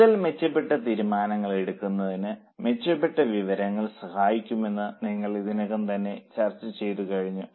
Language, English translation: Malayalam, And the third part which we already discussed that a better information helps in much improved decision making